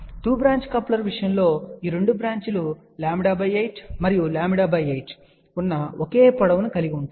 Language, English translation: Telugu, In case of 2 branch coupler these 2 branches have the exactly same length which were lambda by 8 and lambda by 8